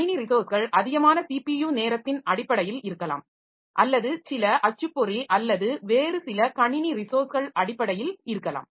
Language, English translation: Tamil, Too much of system resources maybe in terms of CPU time, maybe in terms some printer or some other system resource